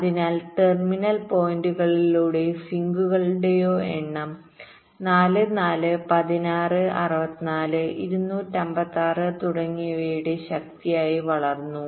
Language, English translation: Malayalam, so number of terminal points or sinks grew as a power of four, four, sixteen, sixty four, two, fifty, six and so on